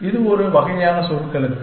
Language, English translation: Tamil, It is a kind of shorthand